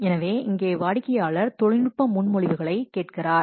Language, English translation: Tamil, So, here the customer asks for technical proposals